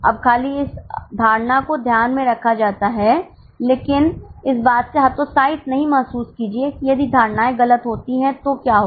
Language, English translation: Hindi, Now, though these assumptions are taken into account, don't be discouraged that what will happen if assumptions go wrong